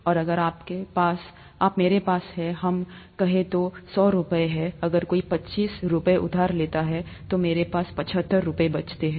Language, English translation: Hindi, And, if I have, let us say, hundred rupees, if somebody borrows twenty five rupees, I have seventy five rupees left